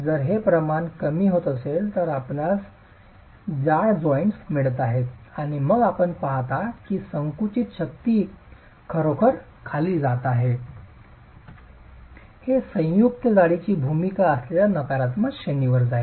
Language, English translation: Marathi, If the ratio is falling, you are getting thicker joints and then you see that the compressive strength is actually going below, it is going into the negative range